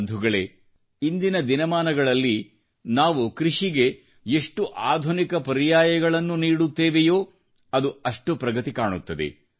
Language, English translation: Kannada, Friends, in presenttimes, the more modern alternatives we offer for agriculture, the more it will progress with newer innovations and techniques